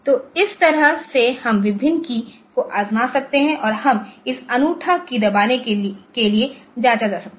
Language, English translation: Hindi, So, this way we can go on trying out different keys and we can go on checking the unique key is pressed so we can check it